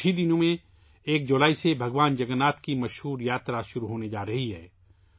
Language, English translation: Urdu, In just a few days from now on the 1st of July, the famous journey of Lord Jagannath is going to commence